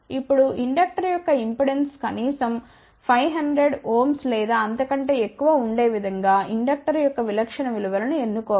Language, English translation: Telugu, Now, typical values of the inductor should be chosen such a way that the impedance of the inductor should be at least 500 ohm or more